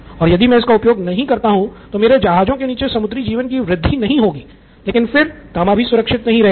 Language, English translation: Hindi, If I don’t use it now I don’t have marine life under the ship but copper is corroding like crazy